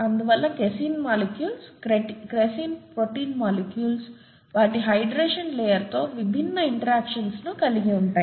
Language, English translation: Telugu, Therefore the casein molecules, the casein protein molecules there have different interactions with their hydration layer